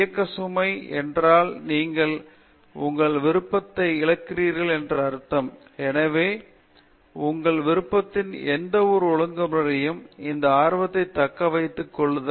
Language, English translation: Tamil, The movement its starts burden means that you are losing your interest, so to keep up your interest in this discipline in any discipline of your choice